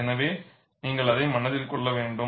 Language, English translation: Tamil, So, you have to keep that in mind